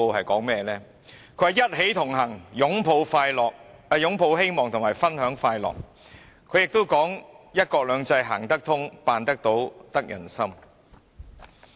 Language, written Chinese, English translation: Cantonese, 她說："一起同行擁抱希望分享快樂"，又說"一國兩制"是"行得通、辦得到、得人心"。, She says We Connect for Hope and Happiness and that one country two systems is a workable solution and an achievable goal welcomed by the people